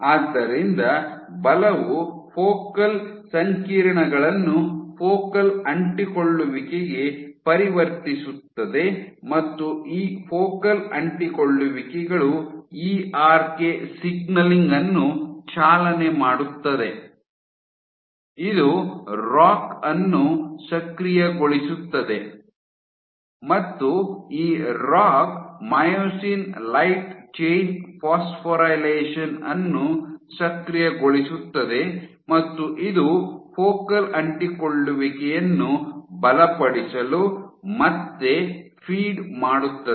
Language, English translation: Kannada, So, force converts the focal complexes to the focal adhesions, these focal adhesions drive ERK signaling, this activates ROCK, and this ROCK activates Myosin light chain phosphorylation which again feeds back to strengthening focal adhesions